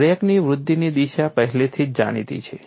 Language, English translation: Gujarati, The direction of crack growth is already known